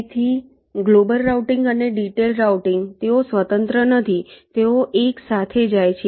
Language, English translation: Gujarati, ok, so global routing and detailed routing, they are not independent, they go hand in hand